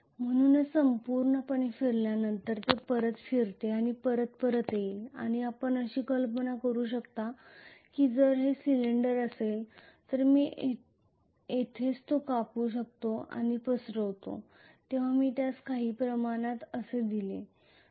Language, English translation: Marathi, So this is essentially wave winding after going through the whole thing it will come back and fold back you can imagine that if this is a cylinder I can always cut it here and spread it out when I spread it out it will look somewhat like this it will look like a rectangle